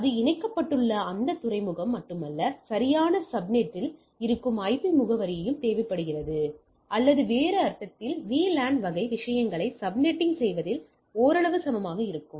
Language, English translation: Tamil, So not only that port where it is connected, but also IP address which is at the proper subnet is required, or in other sense if VLAN drives that in subnetting type of things right somewhat equivalent